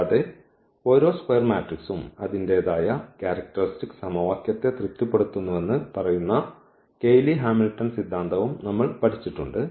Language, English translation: Malayalam, And, we have also studied this Cayley Hamilton theorem which says that every square matrix satisfy its own characteristic equation